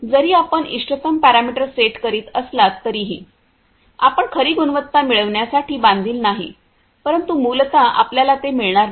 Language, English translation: Marathi, Even though you are setting the optimum parameter, you know that you are not you are bound to get the true quality, but essentially you know you won’t get it